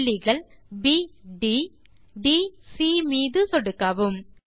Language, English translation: Tamil, Click on the points ,B D ...D C ..